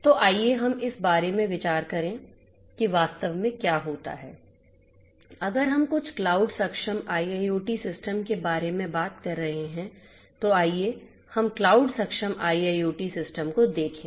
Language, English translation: Hindi, So, let us think about what actually happens if we are talking about some cloud enabled IIoT system cloud enabled right so let us look at the cloud enabled IIoT system